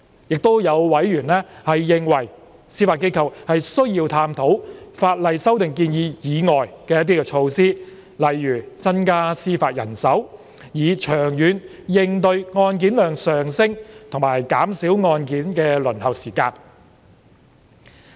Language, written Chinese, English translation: Cantonese, 亦有委員認為，司法機構需要探討法例修訂建議以外的措施，以長遠應對案件量上升及減少案件輪候時間。, Some other members consider that there is a need for the Judiciary Administration to explore measures other than the proposed legislative amendments to cope with the increased caseload and to reduce waiting time for cases in the long run